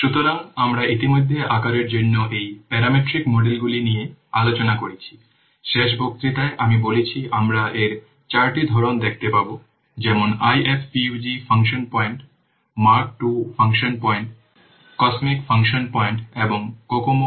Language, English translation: Bengali, Last class I have told we will see four types of these estimations like IFPUG function points, Mark 2 function points, cosmic function points and Kokome 81 and Kokomo 2